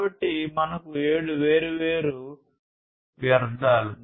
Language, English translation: Telugu, So, these are the seven different forms of wastes